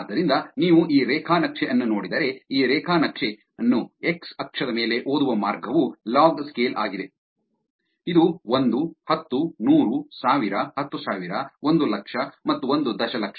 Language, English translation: Kannada, So, if you look at this graph the way to read this graph is on the x axis is the log scale, which is 1, 10, 100, 1000, 10000, 100000 and 1 million